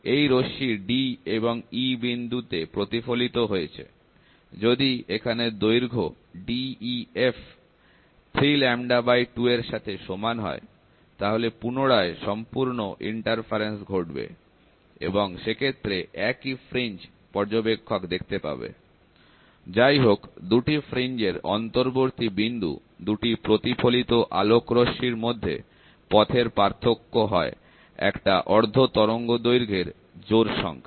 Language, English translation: Bengali, This ray gets reflected at points d and e, if the length ‘def’ equals to 3 lambda by 2, then total in interference occurs again, and the same fringe is seen on by the observer; however, at an intermediate point between the 2 fringes, the path difference between the 2 reflected portion of the light will be an even number of half wavelength